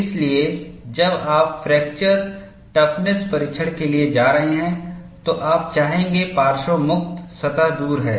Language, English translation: Hindi, So, when you are going in for fracture toughness testing, you would like to have the lateral free surface far away